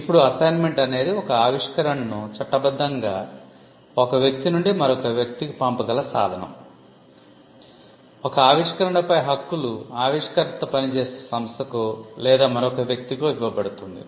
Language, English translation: Telugu, Now, assignment is the ray by which you can legally pass on an invention from one person to another; the ownership of an invention is passed on to another entity or another person